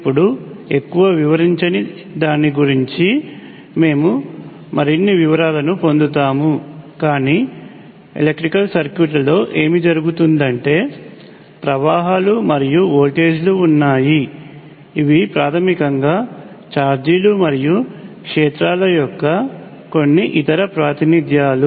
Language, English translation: Telugu, Now of course, that does not explain too much we will get into more details of that, but what happens in electrical circuits is that there are currents and voltages which are basically some other representations of charges and fields